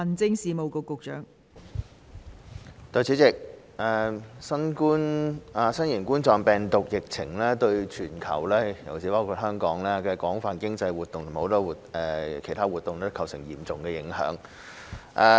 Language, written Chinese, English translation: Cantonese, 代理主席，新型冠狀病毒疫情對全球，包括香港廣泛的經濟和其他活動均構成嚴重影響。, Deputy President COVID - 19 has posed a serious impact on the world including a wide range of economic and other activities in Hong Kong